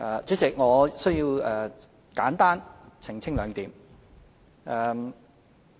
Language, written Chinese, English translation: Cantonese, 主席，我需要簡單澄清兩點。, Chairman I must clarify two points